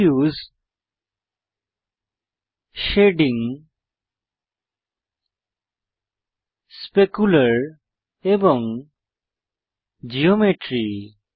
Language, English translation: Bengali, Diffuse, Shading, Specular and Geometry